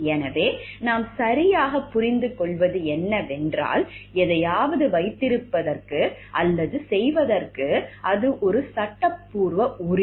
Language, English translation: Tamil, So, what we understand by right is, it is a legal entitlement to have or to do something